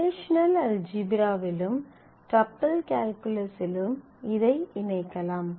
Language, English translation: Tamil, You can combine this as in the relational algebra as well as in tuple calculus